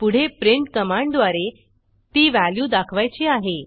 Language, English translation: Marathi, Next I want to print the value using print command